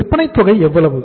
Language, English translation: Tamil, How much is the sales amount